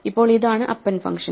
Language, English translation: Malayalam, Now, this is the append function